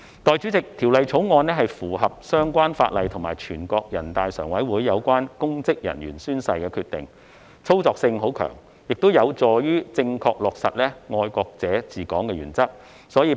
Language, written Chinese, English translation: Cantonese, 代理主席，《條例草案》符合相關法例和全國人大常委會有關公職人員宣誓的決定，操作性很強，也有助於正確落實"愛國者治港"的原則。, Deputy President the Bill is in line with the relevant legislation and NPCSCs decision on oath - taking by public officers . Moreover it is highly practicable and conducive to the proper implementation of the principle of patriots administering Hong Kong